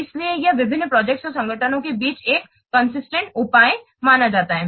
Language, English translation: Hindi, So it acts as a consistent measure among different projects and organizations